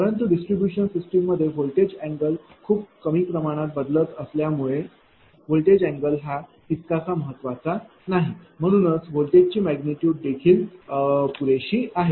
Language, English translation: Marathi, But, as in the distribution system voltage angle is not that important therefore, it because we have seen the variation of angle is very, very small, that is why magnitude of voltage is sufficient